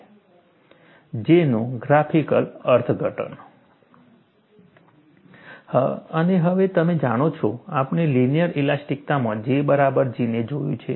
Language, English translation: Gujarati, And now, you know, we have looked at, in the linear elasticity, J equal to G